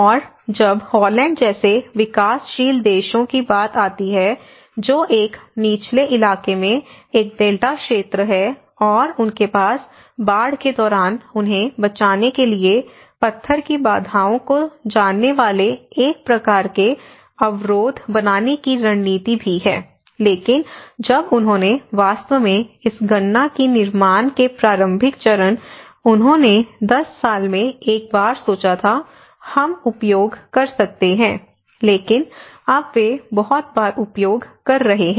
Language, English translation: Hindi, And when it comes to the developing countries like Holland which is an Delta region in a low lying area and they also have strategies of making a kind of barriers you know the stone barriers to protect them during flood but when they actually calculated this in the initial stage of construction they thought once in a 10 years, we may use, but now they are using very frequently